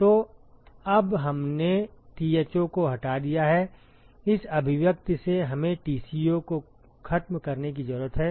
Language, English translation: Hindi, So, now so we have eliminated Tho, from this expression we need to eliminate Tco